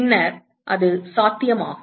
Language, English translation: Tamil, Then it is possible